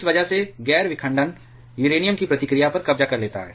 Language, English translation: Hindi, Because of this, the non fission capture reaction of uranium